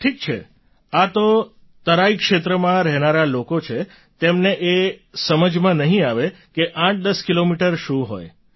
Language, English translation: Gujarati, Well, people who stay in the terai plains would not be able to understand what 810 kilometres mean